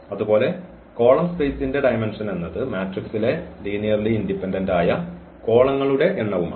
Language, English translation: Malayalam, So, the dimension of the column space is nothing but the its a number of linearly independent columns in the in the matrix A